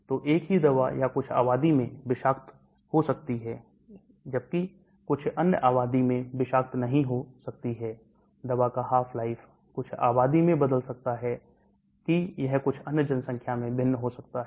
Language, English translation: Hindi, So the same drug or may be toxic in some population whereas it might not be toxic in some other population, the half life of the drug may change in some population whereas it may be different in some other population and so on